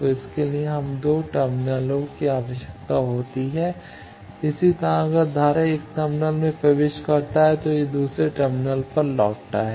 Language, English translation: Hindi, So, for that we require 2 terminals similarly current if it enters to 1 terminal it returns to another terminal